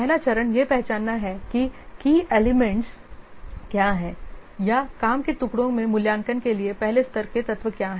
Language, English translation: Hindi, First step is identify what are the key elements or the first level elements for assessment in a pre shape work